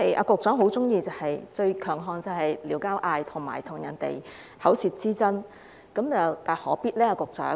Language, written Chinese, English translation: Cantonese, 局長最喜歡、最強項，就是"撩交嗌"，以及與人有口舌之爭，這又何必呢？, The Secretarys most favourite and strongest point is to stir up quarrels and engage in war of words . What for?